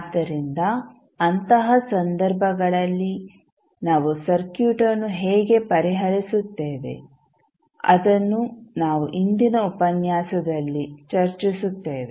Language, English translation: Kannada, So, in those cases how we will solve the circuit we will discuss in today’s lecture